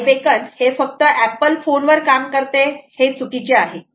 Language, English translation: Marathi, it isnt true that i beacon works only on apple phones